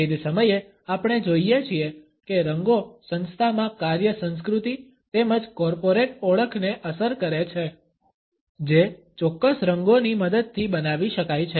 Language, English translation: Gujarati, At the same time we find that colors impact the work culture in an organization as well as the corporate identity which can be created with the help of certain colors